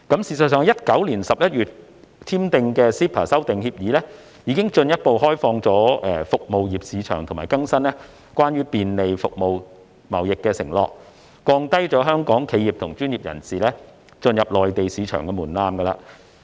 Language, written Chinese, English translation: Cantonese, 事實上 ，2019 年11月21日簽署的 CEPA 修訂協議已進一步開放服務業市場和更新關於便利服務貿易的承諾，並降低香港企業和專業人士進入內地市場的門檻。, Actually the Agreement Concerning Amendment to the CEPA Agreement signed on 21 November 2019 has further lowered the market access thresholds and provided for more facilitating measures for Hong Kong enterprises and professional sectors to tap into the Mainland market